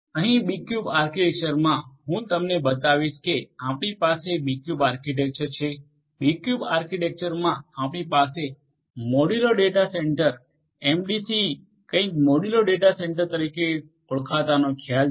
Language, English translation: Gujarati, Here in the B cube architecture I will show you that we have B cube architecture, in a B cube architecture you have the concepts of something known as the modular data centre MDC modular data centre